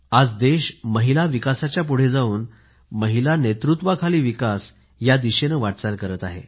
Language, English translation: Marathi, Today the country is moving forward from the path of Women development to womenled development